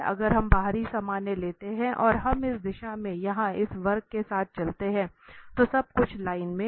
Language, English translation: Hindi, So, again the same idea if we take the outer normal and we walk along this curve here in this direction, then everything is in line